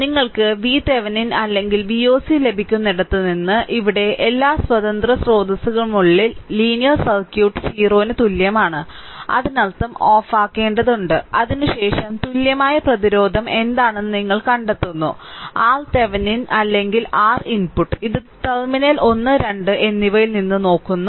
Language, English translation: Malayalam, So, you from where you will get V Thevenin or V oc and here, linear circuit with all independent sources set equal to 0; that means, there have to be turned off and after that, you find out what is your equivalent resistance R Thevenin right or R input; this looking from terminal 1 and 2 right